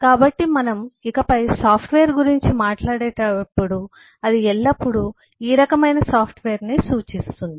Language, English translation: Telugu, so when we will talk about a software henceforth it will always mean this kind of software